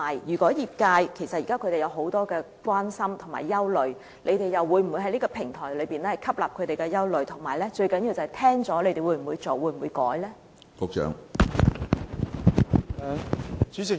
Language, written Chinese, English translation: Cantonese, 其實，業界現時有很多關注和憂慮，政府又會否透過這個平台照顧他們的憂慮，最重要的是政府在聆聽後會否加以處理或修改立法建議呢？, In fact members of the industry have many concerns and worries . They are worried whether the Government will address their concerns through this platform and mostly importantly whether it will proceed with or amend the legislative proposal after hearing their concerns